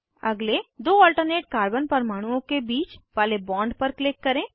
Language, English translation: Hindi, Click on the bond between the next two alternate carbon atoms